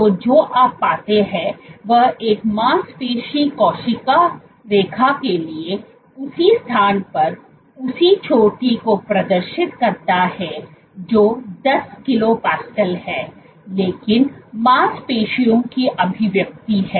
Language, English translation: Hindi, So, what you find is for a muscle cell line, so it exhibits the same peak at the same place which is ordered 10 kilo pascal, but muscle expression